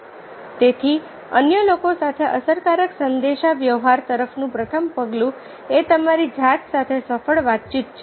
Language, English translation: Gujarati, so the first step towards effective communication with others, successful communication with yourself